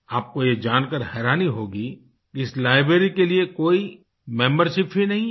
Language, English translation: Hindi, You will be surprised to know that there is no membership for this library